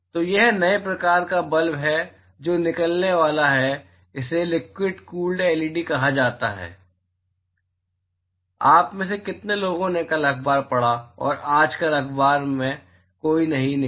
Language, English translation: Hindi, So, this is new type of bulb that is going to come out it is called a liquid cooled LED how many of you read the newspaper yesterday and today it came out yesterday in newspaper nobody